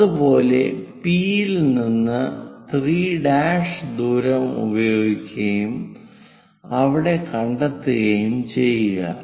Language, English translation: Malayalam, Similarly, from P use 3 prime distance locate there